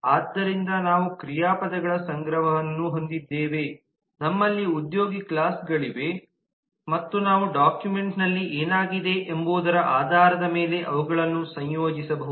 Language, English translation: Kannada, so we have a collection of verbs, we have a employee classes and we can associate them based on what has occurred in the document where